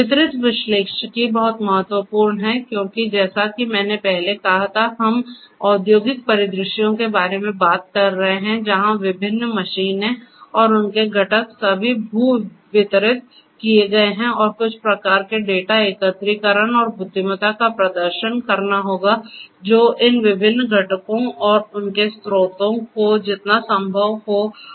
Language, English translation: Hindi, Distributed analytics is very important because as I said earlier we are talking about industrial scenarios where different machines and their components are all geo distributed and some kind of data aggregation and intelligence will have to be performed as close as possible to these different components and their sources of origination